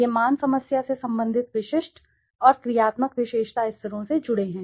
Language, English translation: Hindi, These values are associated with the specific and actionable attribute levels relevant to the problem